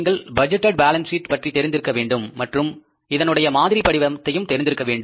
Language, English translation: Tamil, You must be knowing the budgeted balance sheet and the performer of the budgeted balance sheet